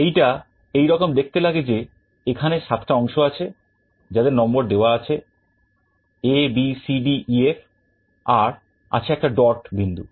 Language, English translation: Bengali, This is how it looks like, there are 7 segments that are numbered A B C D E F G and there is a dot point